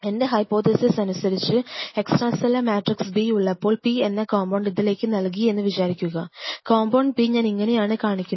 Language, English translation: Malayalam, Now if I give you hypothetical situation if I say if in the extra cellular matrix B, you add compound P, which I am representing by say compound P something like this